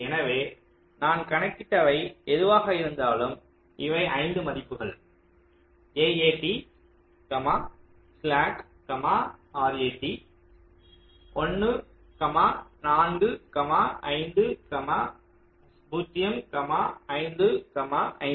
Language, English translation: Tamil, so, whatever i have calculated, these are the five values: a, a, t slack, r a, t one, four, five, zero, five, five